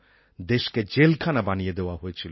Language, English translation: Bengali, The country was turned into a prison